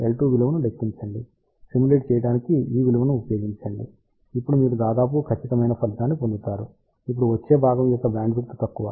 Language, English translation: Telugu, 4415 calculate the value of L 2 use this value to do the simulation, you will get nearly perfect result now comes the next part bandwidth is small